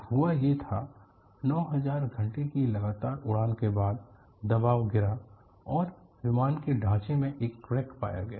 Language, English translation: Hindi, So, what happened was after 9000 hours of equivalent flying, the pressure dropped, and a split in the fuselage was found